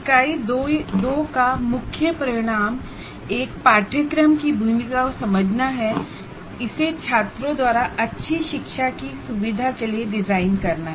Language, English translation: Hindi, The main outcome of this unit two is understand the role of course design in facilitating good learning of the students